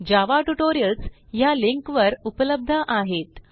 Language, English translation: Marathi, Java tutorials are available at the following link